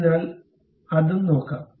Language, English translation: Malayalam, So, let us look at that also